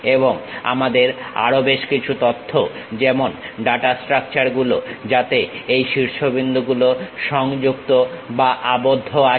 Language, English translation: Bengali, And, we require certain more information like data structures which are which are these vertices connected with each other, linked